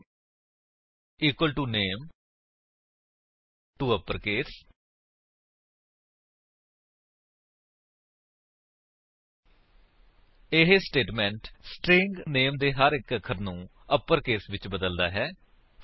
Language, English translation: Punjabi, name equal to name.toUpperCase() This statement converts each character of the string name to uppercase